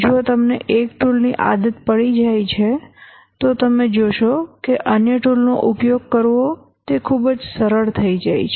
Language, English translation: Gujarati, If you get used to one tool you will see that it becomes very easy to use the other tools